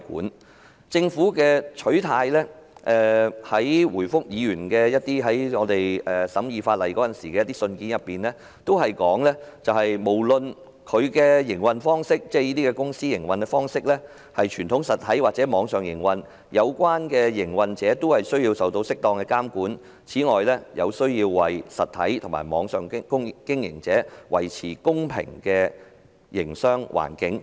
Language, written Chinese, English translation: Cantonese, 從政府回覆法案委員會委員的信件中可見，政府的取態是，無論這些公司是以傳統實體或網上方式營運，有關的營運者均須受到適當監管，以及要為實體和網上經營者維持公平的營商環境。, The Governments stance can be seen from its written reply to the Bills Committee that is all operators be they traditional travel agents with physical presence or online travel agents should subject to appropriate regulation so as to create a level playing field